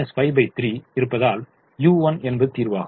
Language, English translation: Tamil, so y one is zero because u one is in the solution